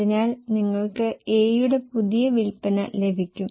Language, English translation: Malayalam, So, you can get new sales of A